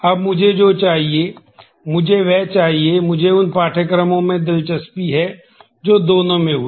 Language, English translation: Hindi, Now, what I want, I need that the; it I am interested in the courses that happened in both